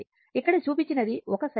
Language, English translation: Telugu, Here, you show it is 1 cycle